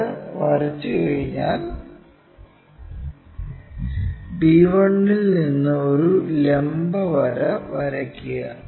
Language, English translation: Malayalam, Once it is drawn draw a vertical line from b 1